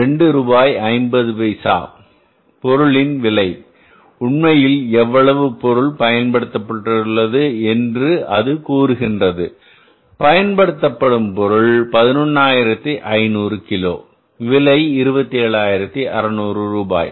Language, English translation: Tamil, If you look at the actual cost of the material, we have used the actual cost, actual quantity is 11,500 kgs and what is the price, rupees 2